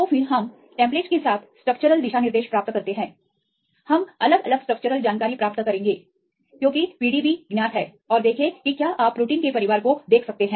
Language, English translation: Hindi, So, then we get the structural guidelines with the templates, we will get different structural information because the PDB is known and see whether you can see the family of the proteins